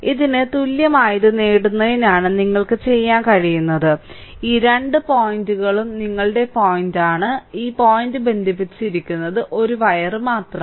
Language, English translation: Malayalam, So, what I can do is for getting this your this equivalent to this; These two point are your this point and this point is connected by a wire only